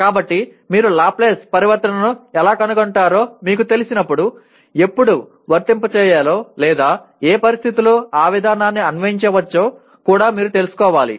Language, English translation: Telugu, So while you know how to create what do you call find a Laplace transform, you should also know when to apply or in what situation that procedure can be applied